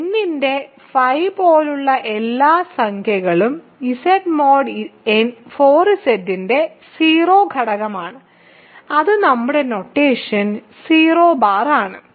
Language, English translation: Malayalam, So, all integers such that phi of n is the 0 element of Z mod 4 Z which is 0 bar in our notation